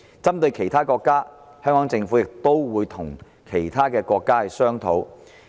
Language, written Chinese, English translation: Cantonese, 針對其他國家的情況，香港政府亦會與有關的國家商討。, In connection with the situation of other countries the Government of Hong Kong will also negotiate with the countries concerned